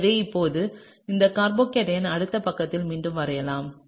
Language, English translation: Tamil, So now, let’s redraw this carbocation in the next page